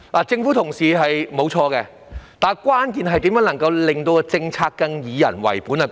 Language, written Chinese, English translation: Cantonese, 政府人員沒有做錯，但關鍵問題在於如何能在政策上更加以人為本。, There is nothing wrong with these government officers but the key lies in how to add the human element to government policies